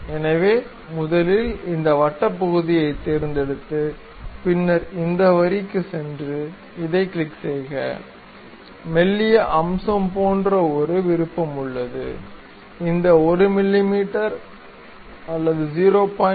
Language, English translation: Tamil, So, first select this circular portion, then go to this line, click this one; then there is option like thin feature, change this 1 mm to 0